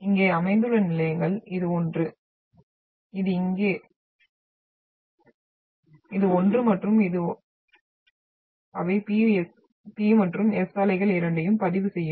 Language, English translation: Tamil, So the stations which are located here, this one, this one here, this one and this one, they will record both, P and S waves